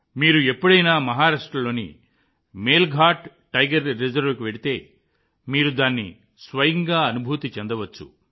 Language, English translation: Telugu, If you ever go to the Melghat Tiger Reserve in Maharashtra, you will be able to experience it for yourself